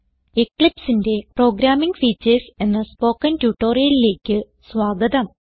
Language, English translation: Malayalam, Welcome to the tutorial on Programming Features of Eclipse